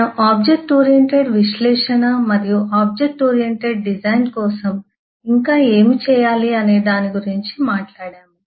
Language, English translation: Telugu, we have talked about object oriented analysis and what else required to be done for object oriented design